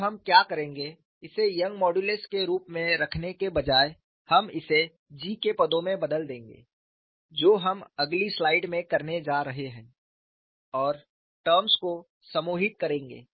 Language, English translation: Hindi, Now, what we will do is, instead of keeping this as Young's modulus, we will replace it terms of g that is what we are going to do it the next slide and group the terms